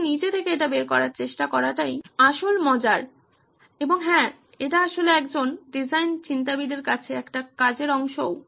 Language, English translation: Bengali, But trying to figure it out yourself is part of the fun and yes it is also part of a job as a design thinker